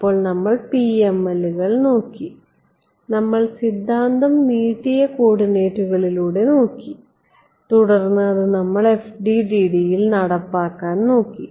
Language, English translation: Malayalam, So, we looked at PMLs, we looked at the theory via stretched coordinates and then we looked at the implementation in FDTD